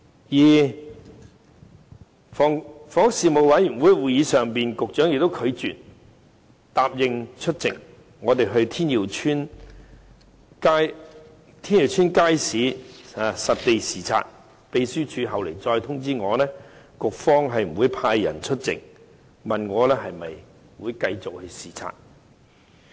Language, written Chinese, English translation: Cantonese, 此外，在房屋事務委員會的會議上，局長拒絕答應與我們到天耀邨街市實地視察，秘書處後來亦通知我局方不會派人出席，問我是否繼續視察。, Moreover at the meeting of the Panel on Housing the Secretary refused to join us on a visit to Tin Yiu Market . The Secretariat subsequently informed me that the Bureau would not send anyone to join this visit and asked me if I would still proceed with it